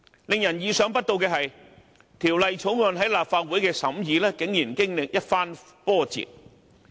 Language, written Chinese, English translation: Cantonese, 令人意想不到的是，《條例草案》在立法會的審議竟然經歷一番波折。, Surprisingly there had been twists and turns in the scrutiny of the Bill at the Legislative Council